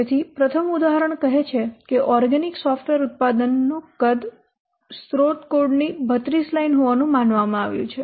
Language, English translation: Gujarati, So, first example said that the size of an organic software product has been estimated to be 32 lines of source code